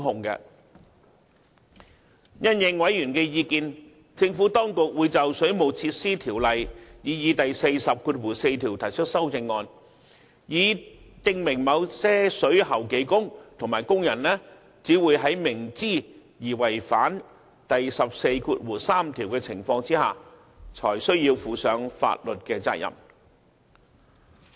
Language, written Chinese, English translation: Cantonese, 因應委員的意見，政府當局會就《水務設施條例》擬議第144條提出修正案，以訂明某些水喉技工和工人只會在明知而違反第143條的情況下，才須負上法律責任。, Having regards for members views the Administration will propose a Committee stage amendment CSA to the proposed section 144 of WWO to the effect that skilled plumbing workers and other workers are liable only if they knowingly contravene section 143